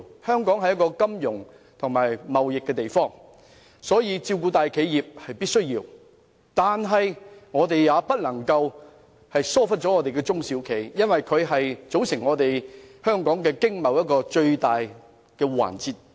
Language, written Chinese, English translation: Cantonese, 香港是一個以金融和貿易為主的地方，照顧大企業在所難免，但亦不能忽略中小企，因為香港的經貿以中小企為主。, Since Hong Kongs economy relies heavily on finance and trading it is inevitable that the Government tends to favour the big enterprises . However small and medium enterprises should not be neglected as they play a very important role in Hong Kongs financial and trading industries